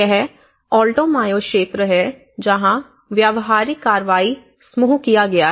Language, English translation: Hindi, So, this is the Alto Mayo region and this has been carried out with the practical action group